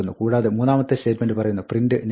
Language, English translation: Malayalam, And then, the third statement says, ‘print “Next line